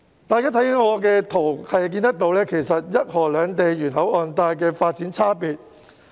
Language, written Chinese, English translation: Cantonese, 我展示的這些圖片，是要顯示一河兩地沿口岸帶的發展差別。, I showed these pictures because I want to illustrate how different the development is on the two sides of the river along the port belt